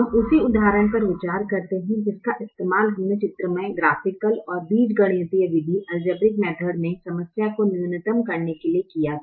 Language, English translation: Hindi, we consider the same example that we used in graphical and in the algebraic method to solve minimization problems